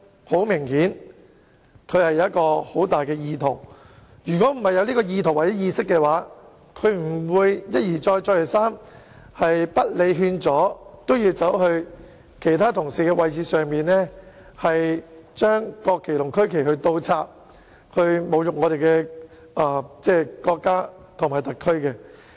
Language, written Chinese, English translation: Cantonese, 很明顯，他當時有強烈意圖，如果沒有意圖或意識的話，他便不會一而再、再而三，不理勸阻也要走到其他議員的座位，把國旗和區旗倒插，侮辱我們的國家和特區政府。, It was obvious that he had a criminal intent at that time . If he did not have a criminal intent or guilty mind he would not have repeatedly gone over to the seats of other Members and insulted our country and the HKSAR Government by inverting the national flags and regional flags despite advice against it